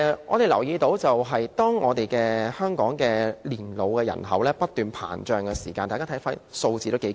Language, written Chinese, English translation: Cantonese, 我留意到香港老年人口不斷膨脹，大家看看，數字頗為驚人。, I have taken note of the growing elderly population in Hong Kong . Let us look at the fairly alarming numbers